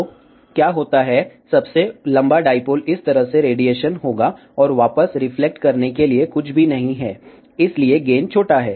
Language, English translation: Hindi, So, what happens, the longest dipole will radiate like this, and nothing is there to reflect back, hence gain is small